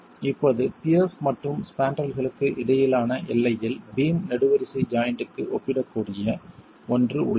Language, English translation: Tamil, Now at the boundary between the piers and the spandrels, you have something that is comparable to a beam column joint